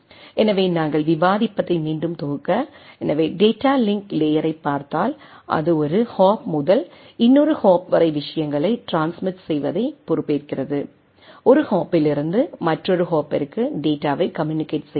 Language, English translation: Tamil, So, just to recompile what we are discussing, so, what we are looking at the data link layer is primarily responsible for hop to hop transmission of the things right like, from one hop to another hop how the data will be communicated right